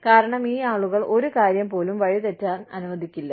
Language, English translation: Malayalam, Because, these people will not let, even one thing, go astray